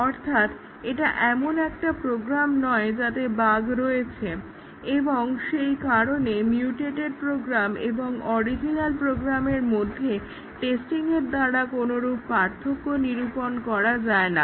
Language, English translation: Bengali, It is not a program with having bugs and therefore, the mutated program and the original program will be indistinguishable by testing